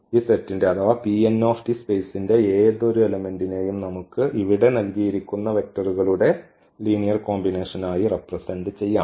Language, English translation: Malayalam, So, we can represent any element of this set or this space here P n t as a linear combination of these given vectors